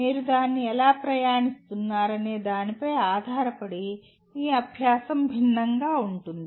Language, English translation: Telugu, Depending on how you keep traversing that, your learning will differ